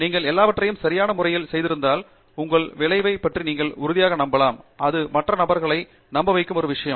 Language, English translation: Tamil, If you have done all of these in a proper way, then you can be convinced about your result and it is all a matter of convincing the other person